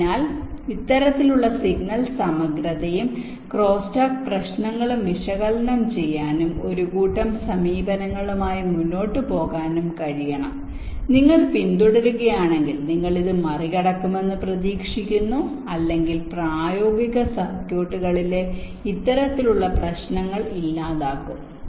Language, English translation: Malayalam, so you should be able to, as a should be able to model, analyze this kind of signal integrity and crosstalk issues and come up with a set of approaches which, if you follow, would expected to ah, to overcome or miss, eliminate this kind of problems in practical circuits